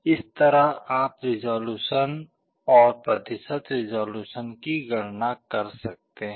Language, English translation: Hindi, In this way you can calculate resolution and percentage resolution